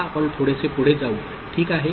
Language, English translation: Marathi, Now, we move little bit further, ok